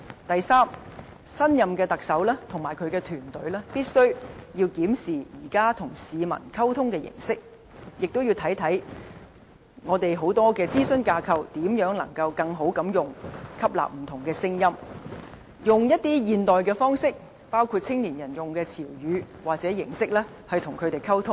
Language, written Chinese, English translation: Cantonese, 第三，新一任特首及其團隊必須檢視現時與市民溝通的形式，亦要檢視如何善用我們眾多的諮詢架構，吸納不同聲音，採用一些現代的方式，包括青年人使用的詞語或形式，與他們溝通。, Third the next Chief Executive and his team must review existing means of communication with the people and to explore how to make good use of many existing consultation frameworks to heed different voices as well as to adopt up - to - date means to connect with young people including adapting to the words or means of communication popular among them